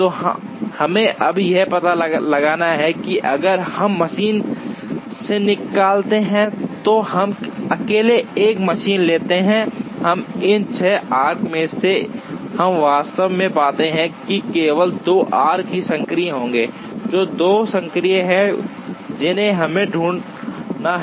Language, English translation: Hindi, So, we now have to find out, if we take out of if we take machine 1 alone, out of these 6 arcs, we actually find in the end only 2 arcs will be active, which 2 are active is what we have to find out